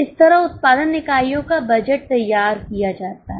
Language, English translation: Hindi, This is how production units budget is produced